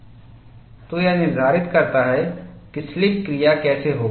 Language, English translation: Hindi, This dictates how the slipping will take place